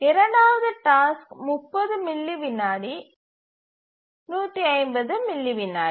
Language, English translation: Tamil, Second task, 30 millisecond is the execution time, 150 millisecond is the period